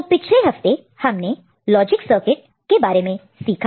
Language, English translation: Hindi, So, we looked at logic circuits, important logic circuits